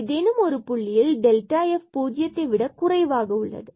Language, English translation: Tamil, So, here assuming this f x is less than 0